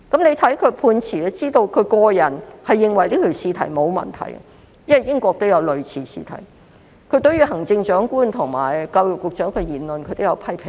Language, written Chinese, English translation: Cantonese, 從他的判詞可見，其實他個人認為試題是沒有問題的，因為在英國也有類似的試題，他亦對行政長官及教育局局長的言論作出了批評。, In his judgment we could see that he personally found the exam question fine because there were similar exam questions in UK . He also criticized the comments of the Chief Executive and the Secretary for Education